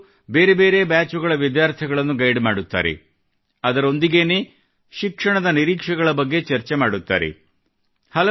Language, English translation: Kannada, In these programmes, they guide the students of different batches and also discuss educational prospects